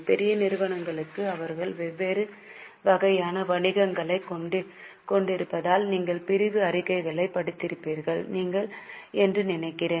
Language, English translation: Tamil, I think you would have read segmental statements because for large companies they are having businesses of different types